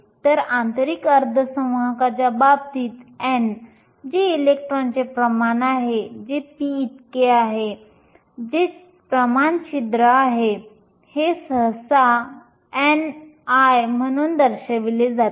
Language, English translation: Marathi, So, in the case of intrinsic semiconductors n, which is the concentration of electrons is equal to p, which is the concentration holes and this is usually denoted as n i